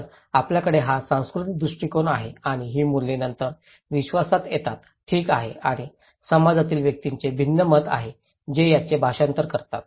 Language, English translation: Marathi, So, we have this cultural perspective and these values then come into beliefs, okay and individuals in a society have different beliefs that translate this one